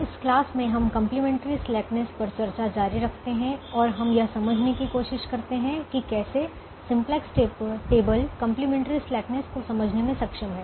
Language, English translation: Hindi, in this class we continue the discussion on the complimentary slackness and we we try to explain how the simplex table is able to capture the complementary slackness